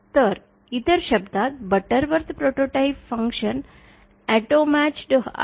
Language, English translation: Marathi, So, in other words, Butterworth prototype functions are auto matched